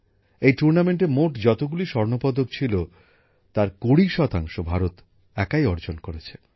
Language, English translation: Bengali, Out of the total gold medals in this tournament, 20% have come in India's account alone